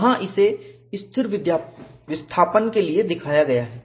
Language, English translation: Hindi, Here it is shown for constant displacement